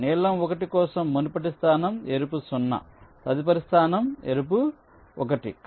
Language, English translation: Telugu, for blue one, the previous state is red zero, next state is red one